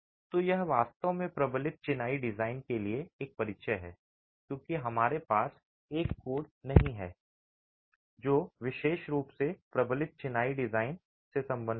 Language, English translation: Hindi, So, this is really an introduction to reinforced masonry design because we do not have a code that specifically deals with reinforced masonry design